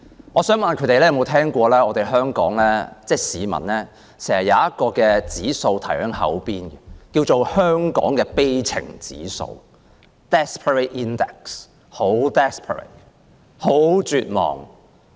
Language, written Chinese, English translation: Cantonese, 我想問他們有否聽過香港市民經常掛在口邊的一項指數，名為香港的悲情指數，真的非常 desperate， 非常絕望。, I wish to ask if they have heard of an index frequently cited by members of the public in Hong Kong which is called the desperation index of Hong Kong . It is really desperate